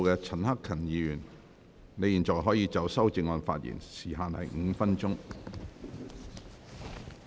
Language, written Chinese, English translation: Cantonese, 陳克勤議員，你現在可以就修正案發言，時限為5分鐘。, Mr CHAN Hak - kan you may now speak on the amendments . The time limit is five minutes